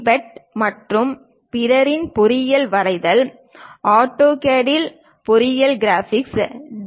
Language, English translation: Tamil, Bhatt and others; Engineering graphics with AutoCAD by D